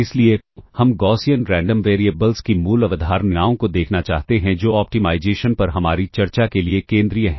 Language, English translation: Hindi, So, we want to look at the basic concepts of Gaussian Random Variables, which are central to our discussion on optimization